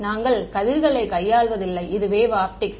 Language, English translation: Tamil, We are not dealing with rays this is wave optics